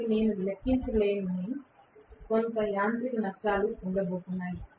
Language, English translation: Telugu, So, there is going to be some amount of mechanical losses which I cannot account for